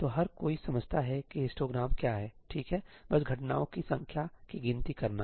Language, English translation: Hindi, everybody understands what is a histogram, right, just counting the number of occurrences